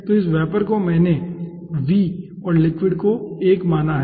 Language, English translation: Hindi, so this vapor i have considered as v and liquid i have considered as l